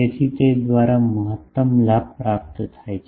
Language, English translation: Gujarati, So, by that the maximum gain is obtained